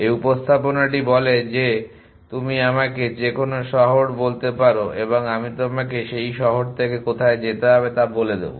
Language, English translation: Bengali, This representation says that you tell me any city and I tell you where to go from that city